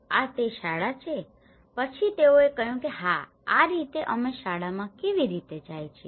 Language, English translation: Gujarati, this is school then they said yeah this is how we travel to the school